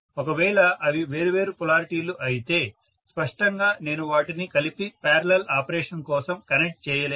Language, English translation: Telugu, So, if they are of different polarity, obviously I can’t connect them together for parallel operation